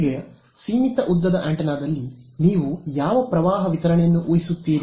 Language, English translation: Kannada, Now in a finite length antenna what current distribution will you assume